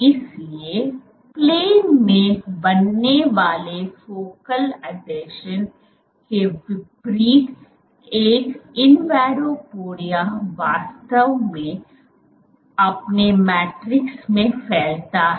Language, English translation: Hindi, So, in contrast to focal adhesions which are formed on the plane, an invadopodia actually protrudes into its matrix